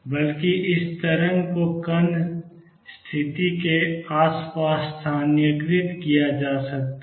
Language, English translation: Hindi, Rather, this wave could be localized around the particle position